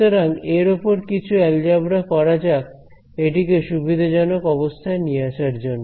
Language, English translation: Bengali, So, let us try to do a little bit more algebra on this to bring it into convenient form ok